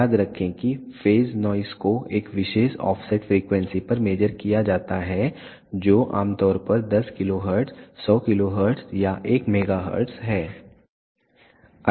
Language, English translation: Hindi, Remember phase noise is measured at a particular offset frequency which is typically 10 kilohertz, 100 kilohertz or 1 megahertz